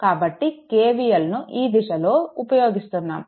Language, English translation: Telugu, Therefore, if you apply KVL moving like this